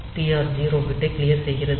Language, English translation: Tamil, So, clearing the TR 0 bit